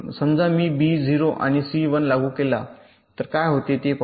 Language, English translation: Marathi, lets say, suppose i apply b zero and c one